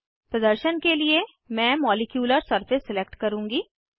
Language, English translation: Hindi, For demonstration purpose, I will select Molecular surface